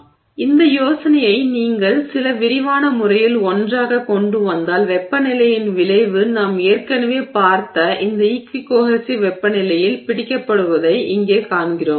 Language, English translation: Tamil, So, if you bring these ideas together in some, you know, comprehensive manner, we see here that the effect of temperature is captured by this equi cohesive temperature